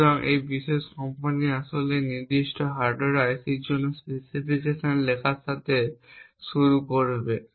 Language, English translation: Bengali, So, this particular company would start off with actually writing the specifications for that particular hardware IC